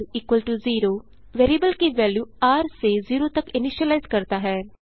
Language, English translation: Hindi, $r=0 initializes the value of variable r to zero